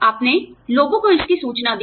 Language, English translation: Hindi, You reported this to people